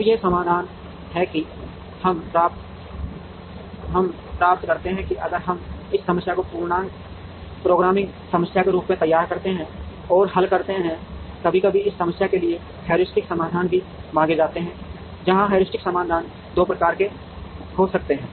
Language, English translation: Hindi, Now, there are this is the solution that, we get if we formulate this problem as an integer programming problem and solve now sometimes heuristic solutions are also sought for this problem, where the heuristic solution can be of 2 types